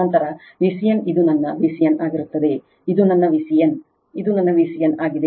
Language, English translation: Kannada, Then V c n will be this is my V c n, this is my V c n this is my V c n right